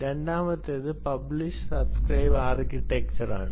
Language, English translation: Malayalam, that's why it's called the publish subscribe architecture